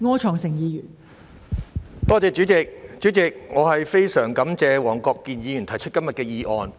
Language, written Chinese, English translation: Cantonese, 代理主席，我非常感謝黃國健議員提出今天的議案。, Deputy President I am so grateful to Mr WONG Kwok - kin for proposing todays motion